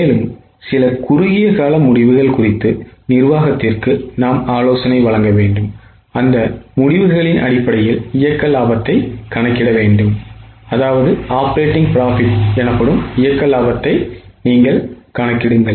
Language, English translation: Tamil, And then we have to advise the management on certain short term decisions and compute the resultant operating profit based on those decisions